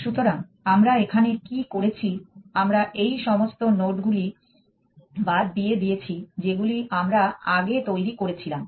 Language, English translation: Bengali, So, what have we done here we thrown away all this nodes that we have generated earlier